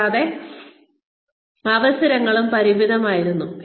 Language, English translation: Malayalam, And, the opportunities were also limited